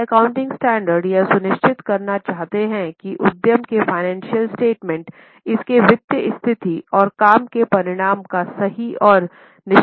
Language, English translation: Hindi, Now, accounting standards seek to ensure that financial statements of an enterprise give a true and fair view of its financial position and working results